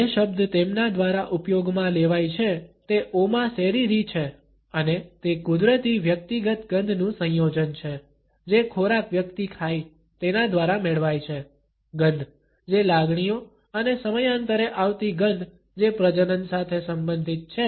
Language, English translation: Gujarati, The word which is used by them is Oma Seriri and it is a combination of natural personal odors which are acquired through the food one eats, odors which are caused by emotions and periodic odors which are related to fertility